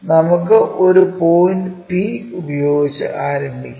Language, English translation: Malayalam, Let us begin with a point P